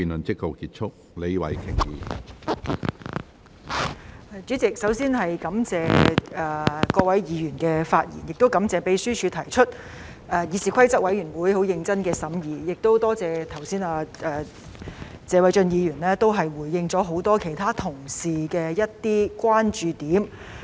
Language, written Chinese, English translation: Cantonese, 主席，首先，我感謝各位議員的發言，亦感謝立法會秘書處提出方案、議事規則委員會很認真的審議，也多謝謝偉俊議員剛才回應了很多其他同事的某些關注。, President first I thank Members for their speeches the Legislative Council Secretariat for putting forward a proposal and the Committee on Rules of Procedure for its serious scrutiny . I also thank Mr Paul TSE for responding to certain concerns of many other Honourable colleagues just now